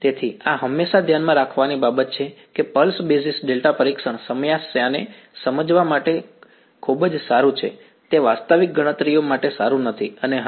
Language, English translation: Gujarati, So, this is something to always keep in mind pulse basis delta testing is very good for understanding a problem, it is not good foRactual calculations and yeah